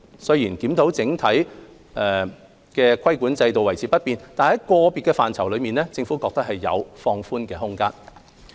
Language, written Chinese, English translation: Cantonese, 雖然檢討認為整體規管制度維持不變，但在個別範疇裏，政府認為有放寬的空間。, Although the Review has suggested that the overall regulatory regime be kept intact the Government considers that there is room for relaxation in individual areas